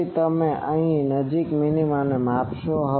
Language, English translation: Gujarati, So, you measure the nearest minima